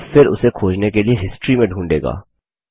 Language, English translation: Hindi, This will then search through your history to find it